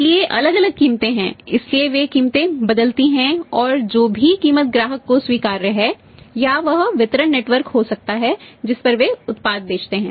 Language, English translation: Hindi, So, varying prices are there, so they vary the prices and whichever the price is acceptable to the customer on maybe the distribution Network at that they sell the product